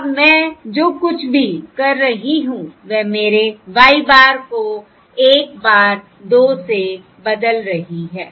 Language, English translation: Hindi, Now all I am doing is replacing my y bar by 1 bar 2